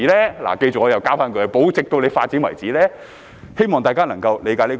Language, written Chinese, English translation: Cantonese, 大家記着，我又要加上一句"保留直至政府要發展為止"，希望大家能夠理解這一點。, Members please remember that I have to add the phrase until the Government wants development . It is my hope that Members can understand this point